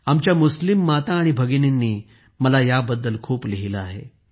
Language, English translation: Marathi, Our Muslim mothers and sisters have written a lot to me about this